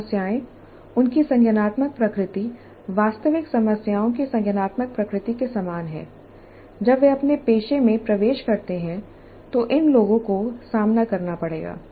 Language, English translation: Hindi, The problems, their cognitive nature is quite similar to the cognitive nature of the actual problems that these people will face when they enter their profession